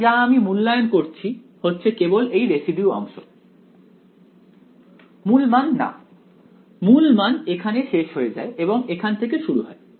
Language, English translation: Bengali, So, what I am evaluating is only the residue part not the principal value; the principal value ends over here and starts over here right